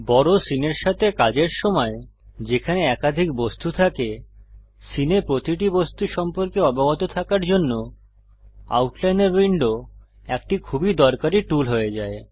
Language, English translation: Bengali, While working with a large scene, having multiple objects, the Outliner window becomes a very useful tool in keeping track of each object in the scene